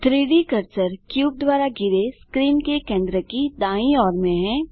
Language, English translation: Hindi, The 3D cursor is right at the centre of the screen surrounded by the cube